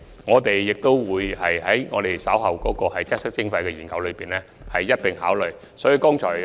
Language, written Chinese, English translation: Cantonese, 我們會將這問題納入稍後的"擠塞徵費"研究，一併加以考慮。, We will include this question into the upcoming study on congestion charging for consideration